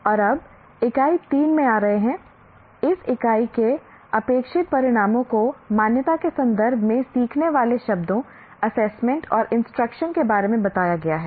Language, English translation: Hindi, And now coming to Unit 3, the expected outcomes of this unit are explain the familiar words learning, assessment and instruction in the context of accreditation